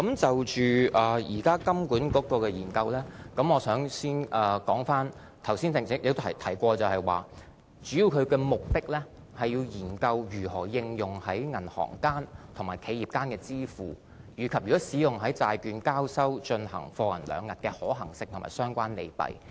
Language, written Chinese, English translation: Cantonese, 就着金管局現時的研究，我剛才也提到，其中一個目的是要研究如何應用在銀行間和企業間的支付，以及如果使用在債券交收進行貨銀兩訖的可行性和相關利弊。, As I mentioned just now one main purpose of the study is to explore the application of a digital currency in inter - bank payments and corporate payments and ascertain the feasibility and the pros and cons of its use in delivery - versus - payment for settling debt securities